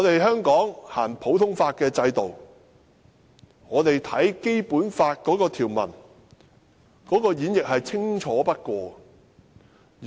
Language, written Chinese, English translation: Cantonese, 香港實行普通法制度，《基本法》條文的演繹是最清楚不過的。, As clearly stipulated in the Basic Law provisions Hong Kong practices the common law regime